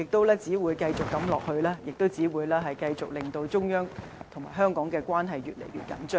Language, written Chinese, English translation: Cantonese, 長此下去，只會繼續令中央與香港關係越來越緊張。, If this goes on the relationship between the Central Authorities and Hong Kong will only go wrong